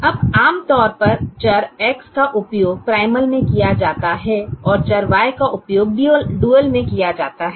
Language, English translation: Hindi, now, usually the variables x are used in the primal and the variables y are used in the dual